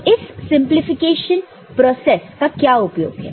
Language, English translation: Hindi, So, that is what is the usefulness of this simplification process